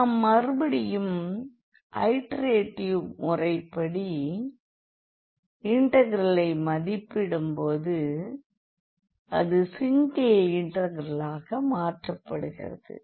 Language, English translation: Tamil, So, we have to again iteratively solve the integrals like and then these becomes single integrals